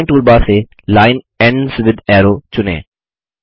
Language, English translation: Hindi, From the Drawing toolbar, select Line Ends with Arrow